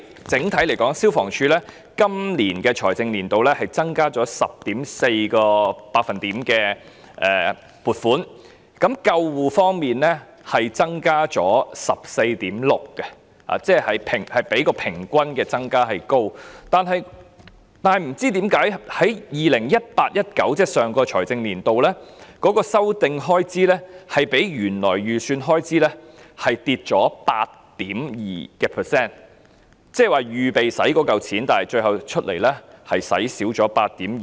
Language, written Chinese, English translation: Cantonese, 整體來說，消防處今個財政年度的撥款增加了 10.4%， 而救護方面的撥款增加了 14.6%， 即較平均加幅為高；但不知道為何，在 2018-2019 年度，修訂開支較原來預算下跌 8.2%， 換言之，預備動用的款項最後卻少花了 8.2%。, Overall speaking the financial provision for FSD has increased by 10.4 % in this fiscal year whilst the financial provision for ambulance service has increased by 14.6 % a rate of increase higher than the average . That said I have no idea why the revised expenditure in 2018 - 2019 is 8.2 % lower than the original estimate . In other words the amount of funding planned for use was reduced by 8.2 % in the end